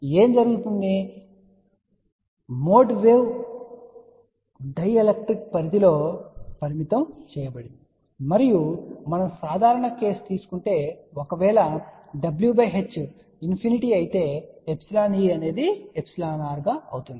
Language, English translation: Telugu, So, what happens the mode wave is confined within the dielectric and we had also taken a general case if w by h becomes infinity then epsilon e becomes epsilon r